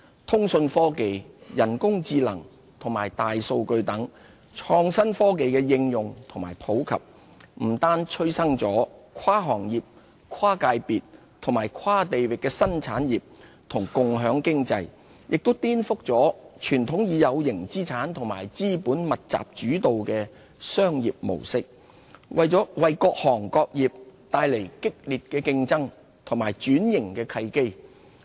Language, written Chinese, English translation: Cantonese, 通訊科技、人工智能和大數據等創新科技的應用和普及，不單催生跨行業、跨界別和跨地域的新產業和共享經濟，也顛覆了傳統以有形資產和資本密集主導的商業模式，為各行各業帶來激烈競爭和轉型的契機。, The application and omnipresence of communication technology artificial intelligence and big data have not only spurred the birth of many new industries that operate across industries sectors and geographical areas as well as the emergence of the sharing economy but also revolutionized the traditional and capital intensive business model based on tangible assets . They have generated keen competition along with opportunities for transformation